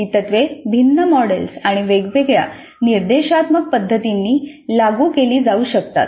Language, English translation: Marathi, These principles can be implemented by different models and different instructional methods